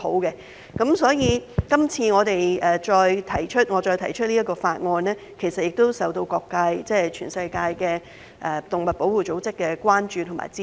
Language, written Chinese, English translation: Cantonese, 因此，今次我再提出這項法案，其實也受到各界及全世界的動物保護組織關注和支持。, Therefore when I introduce the current bill I have received attention and support from various sectors and animal protection organizations around the world